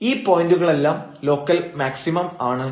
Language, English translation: Malayalam, So, this is a point of local maximum